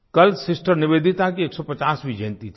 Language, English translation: Hindi, Yesterday was the 150th birth anniversary of Sister Nivedita